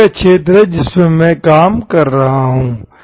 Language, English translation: Hindi, That is the area in which I am working